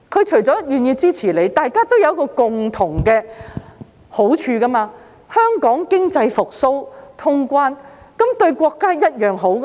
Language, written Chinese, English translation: Cantonese, 除願意支持我們外，對大家亦有共同的好處，便是如果香港經濟復蘇，能通關，對國家一樣好。, In addition to their willingness to support us there are common benefits for all of us . That is to say if Hong Kongs economy recovers and cross - border activities are resumed it will be good for our country as well